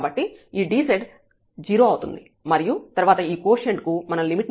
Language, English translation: Telugu, So, this dz is 0 and now this quotient here, and then we will take the limit